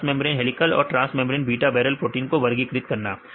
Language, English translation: Hindi, Classifying the transmembrane helical and transmembrane beta barrel proteins right